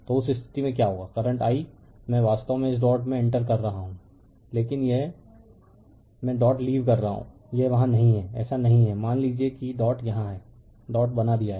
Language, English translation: Hindi, So, in that case what will happen the current I actually entering into this dot, but this I leaving the dot right this is not there this this is not there suppose dot is here you have made the dot